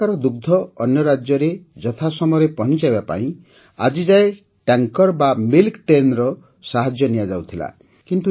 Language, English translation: Odia, For the timely delivery of milk here to other states, until now the support of tankers or milk trains was availed of